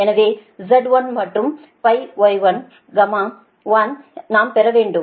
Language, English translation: Tamil, so z dash and y dash we have to obtain